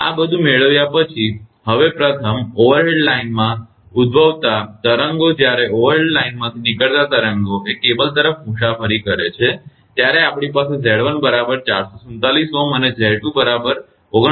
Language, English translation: Gujarati, After making all this, now waves originating in overhead line first, when the waves originating the overhead line and travels towards the cable we will have Z 1 is equal to 447 ohm and Z 2 is equal to 49